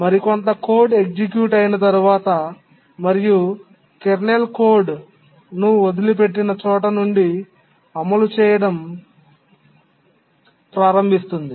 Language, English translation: Telugu, Some other code runs and then starts running the kernel code where it left